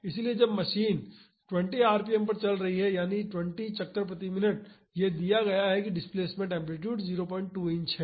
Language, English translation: Hindi, So, when the machine is running at 20 rpm that is 20 revolutions per minute, it is given that the displacement amplitude is 0